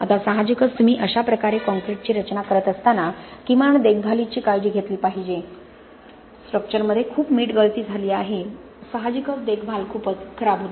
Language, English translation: Marathi, Now obviously when you are designing concrete like this atleast you should take care of the maintenance, there is a lot of salt spills that happened in the structure, obviously maintenance was very poor